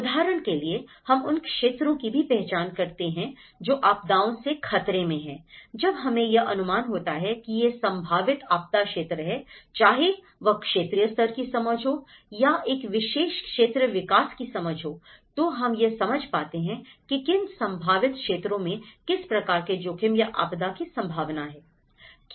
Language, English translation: Hindi, Like for instance, we also identify the areas that are risk from hazards, when we know that these are the potential areas, whether it is a regional level understanding, whether it is a particular area development understanding, so we will understand, which are the potential areas that will be subjected to what type of risk